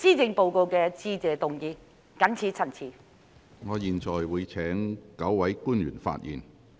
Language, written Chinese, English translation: Cantonese, 如沒有其他議員想發言，我會請9位官員發言。, If no Member wishes to speak I will invite the nine public officers to speak